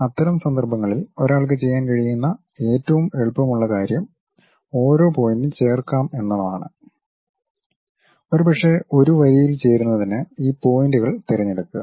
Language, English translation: Malayalam, In that case the easiest thing what one can do is join each and every point, perhaps pick these points join it by a line